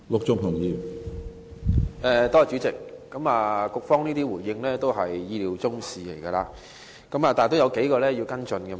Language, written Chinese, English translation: Cantonese, 主席，局方的回應也是意料之內，但我仍想跟進數點。, President the reply provided by the Bureau is as expected yet I would like to follow up on a few points